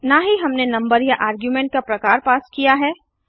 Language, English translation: Hindi, Nor even the type or number of argument we passed